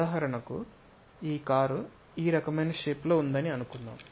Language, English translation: Telugu, For example, let us consider our car is of this kind of shape